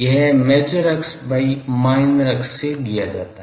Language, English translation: Hindi, That is given as major axis by minor axis